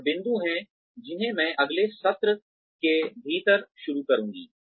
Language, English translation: Hindi, There are some more points, that I will start, within the next session